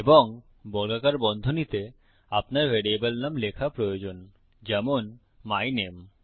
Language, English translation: Bengali, And in square brackets you need to write the name of the variable for example, my name